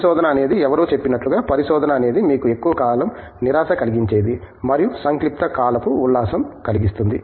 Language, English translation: Telugu, Research is something as someone said, research is something which where you have long periods of frustration, interspersed with brief periods of elation